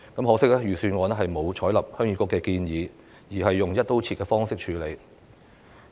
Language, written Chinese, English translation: Cantonese, 可惜，預算案並沒有採納鄉議局的建議，而是採用"一刀切"的方式處理。, Unfortunately the Budget has not taken HYKNTs suggestion on board but adopted an across - the - board approach